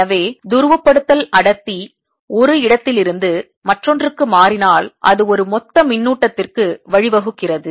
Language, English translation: Tamil, so if polarization density changes from one place to the other, it also gives rise to a bulk charge